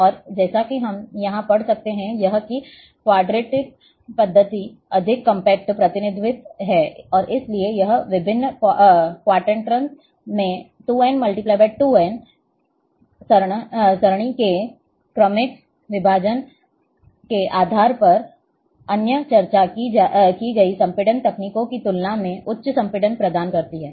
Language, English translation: Hindi, And as we can read here, is that quadtree method is more compact representation, and therefore, it provides high compression, compares to other discussed compression techniques, based on successive divisions of two power n by two power n array into different quadrants